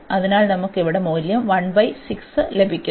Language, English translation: Malayalam, So, what we are going to have